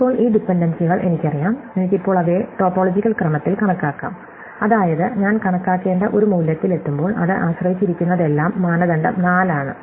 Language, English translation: Malayalam, Now, that I know these dependencies, I can now enumerate them in any topological order, such that when I reach a value to be computed, everything it depends on is known before